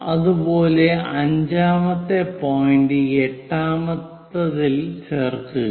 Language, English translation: Malayalam, Similarly, join 5th one to point 8